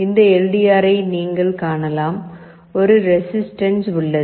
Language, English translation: Tamil, You can see this LDR, and there is a resistance